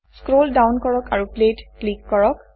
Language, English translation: Assamese, Scroll down and click Play